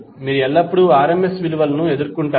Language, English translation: Telugu, You will always encounter the RMS value